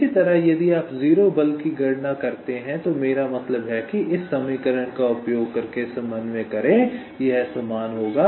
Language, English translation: Hindi, similarly, if you calculate the zero force, i mean y coordinate, using this equation, it will be similar